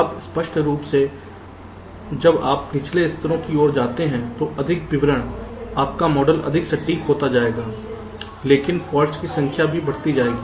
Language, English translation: Hindi, now clearly, so as you go towards the lower levels, more detail description, your model will become more accurate, but the number of faults can also go on increasing